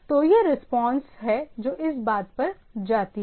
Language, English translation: Hindi, So, this is the response is goes on the thing